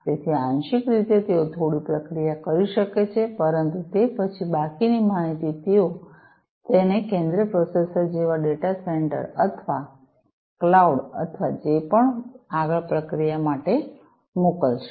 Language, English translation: Gujarati, So, partially they can do some processing, but then the rest of the information they will be sending it to the central processor like the data center or, cloud or, whatever, for further processing